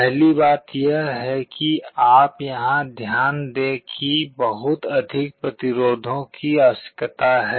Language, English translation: Hindi, The first thing you note is here is that the number of resistances required are much more